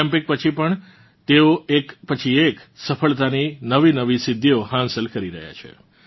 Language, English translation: Gujarati, Even after the Olympics, he is setting new records of success, one after the other